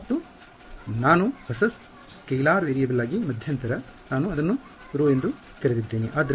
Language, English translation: Kannada, Right and I intermediate into a new scalar variable, I called it rho